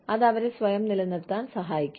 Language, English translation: Malayalam, That can help them, sustain themselves